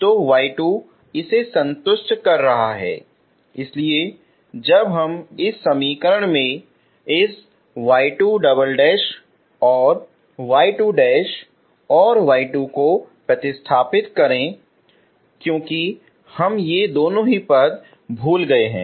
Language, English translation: Hindi, So y 2 is satisfying this so when we substitute this y 2 double dash and y 2 dash and y 2 into this equation what we had missed is these two terms